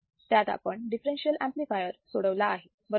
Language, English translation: Marathi, And we have also seen how the differential amplifier works